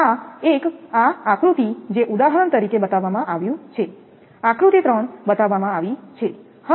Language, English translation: Gujarati, Now, this one now this one that this diagram is shown for example, three diagram is shown